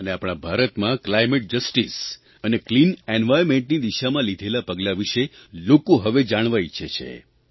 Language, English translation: Gujarati, It is my firm belief that people want to know the steps taken in the direction of climate justice and clean environment in India